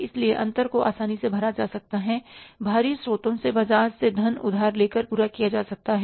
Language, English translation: Hindi, So, gap can be easily plugged, can be fulfilled by borrowing the funds from the market from the external sources